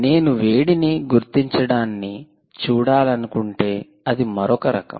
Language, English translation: Telugu, if you want to just look at detection of heat is another type